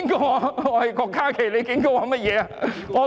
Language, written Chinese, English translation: Cantonese, 我是郭家麒，你警告我甚麼？, I am KWOK Ka - ki what are you warning me about?